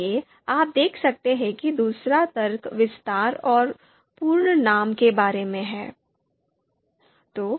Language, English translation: Hindi, So you can see the second argument is about specifying extension, and full